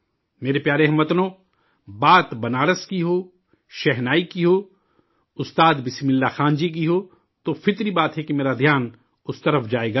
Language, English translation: Urdu, My dear countrymen, whether it is about Banaras or the Shehnai or Ustad Bismillah Khan ji, it is natural that my attention will be drawn in that direction